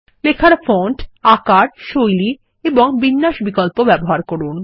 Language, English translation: Bengali, Apply the font, size, style and alignment options to the text